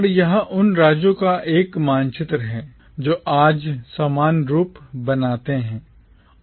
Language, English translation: Hindi, And this is a map of the states that form the commonwealth today